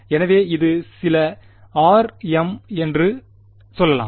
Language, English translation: Tamil, So, this was let us say some r m